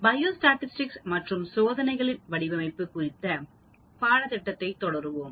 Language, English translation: Tamil, We will continue on the course on Biostatistics and Design of Experiments